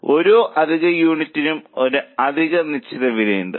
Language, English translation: Malayalam, So, for every extra unit, there is an extra fixed cost